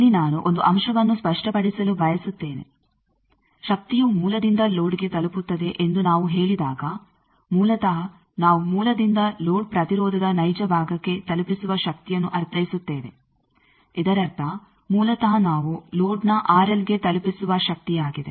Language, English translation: Kannada, Here I want to clarify one point, that when we say power delivered from source to load basically we mean power delivered from source to real part of load impedance; that means, basically the power that we deliver to the R L of the load